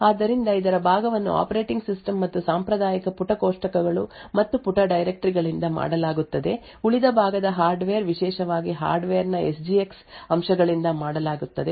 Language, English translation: Kannada, So, part of this is done by the operating system and the traditional page tables and page directories which are present the remaining part is done by the hardware especially the SGX aspects of the hardware